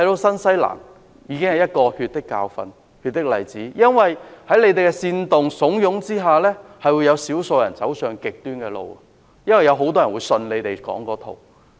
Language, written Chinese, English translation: Cantonese, 新西蘭已經有一個血的教訓和例子，少數人被煽動和慫恿之下走上極端的路，因為他們相信政客說的那一套。, New Zealand is one such example that has learned a bloody lesson . A group of people believed in what the politicians said and became extremists under their instigation